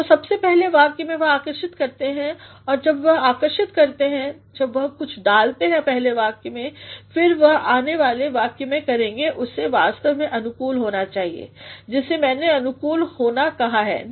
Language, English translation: Hindi, So, in the very first sentence he attracts and when he attracts, when he puts something in the first sentence, then what he will do the corresponding sentence is they actually should cohere, which I have called coherence,no